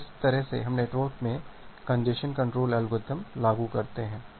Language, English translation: Hindi, So, that way we apply the congestion control algorithm in the network